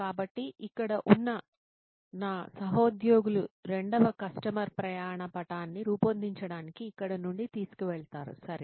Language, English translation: Telugu, So my colleagues here who will take it up from here to build the second customer journey map, ok over to you guys